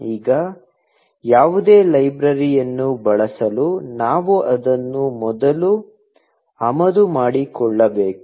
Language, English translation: Kannada, Now, to use any library, we will have to import it first